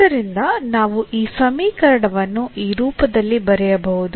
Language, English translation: Kannada, So, we have this equation here